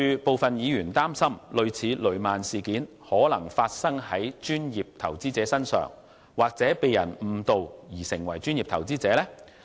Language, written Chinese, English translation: Cantonese, 部分議員擔心，類似雷曼事件的情況可能會發生在專業投資者身上，或有人會因被誤導而成為專業投資者。, Some Members fear that something similar to the Lehman Brothers incident may happen to professional investors or that some people may be misled to become professional investors